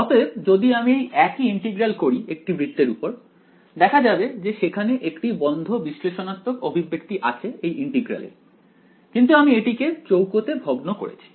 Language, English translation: Bengali, However, if I do the same integral over a circle, it turns out that there is a closed analytical expression itself for the integral ok, but we discretized it into squares